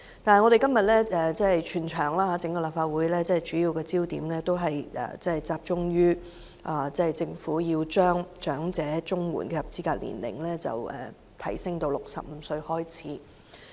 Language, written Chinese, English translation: Cantonese, 但是，今天整個立法會的主要焦點是集中於政府要將長者綜援的合資格年齡提高至65歲。, However the entire Legislative Council today mainly focuses on the proposal of the Government to raise the eligibility age for elderly CSSA to 65